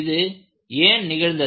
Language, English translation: Tamil, So, why this has happened